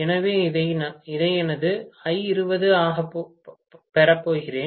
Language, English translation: Tamil, So, I am going to have this as my I20